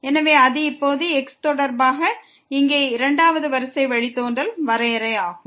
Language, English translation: Tamil, So, that will be the definition now of the second order derivative here with respect to